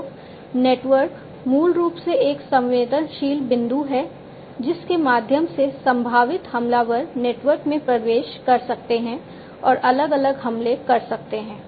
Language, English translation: Hindi, So, network, basically is a vulnerable point through which potential attackers can get in and launch different attacks